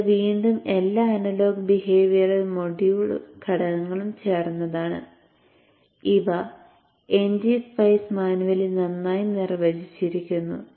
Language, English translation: Malayalam, This is again composed of all analog behavioral modeling elements and these are well defined in NG Spice manual